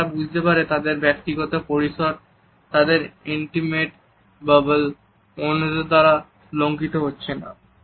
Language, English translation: Bengali, So, that they can understand that their personal space that their intimate bubble is not being disturbed by others